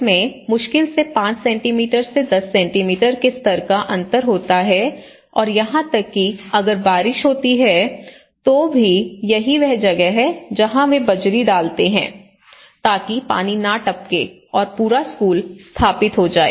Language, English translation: Hindi, It is hardly 5 centimeters to 10 centimeters level difference and even in case when rain happens, so that is where they put the gravel so that the water can percolate and this whole school has been established